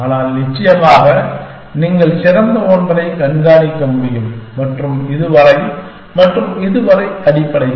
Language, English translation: Tamil, But, of course you can keep track of the best one and so far and so far essentially